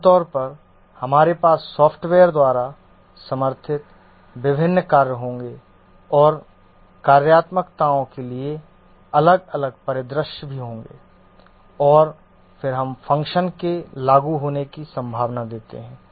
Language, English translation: Hindi, Typically we'll have various functions supported by the software and also different scenarios for the soft, the functionalities, and then we give a probability of the function being invoked